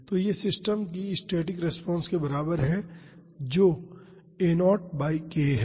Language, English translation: Hindi, So, this is equal to the static response of the system that is a naught by k